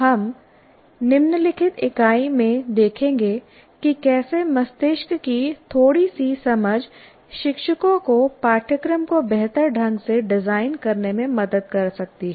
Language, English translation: Hindi, For example, we'll see in the following unit a little bit of understanding of the brain can help the teachers design the curriculum better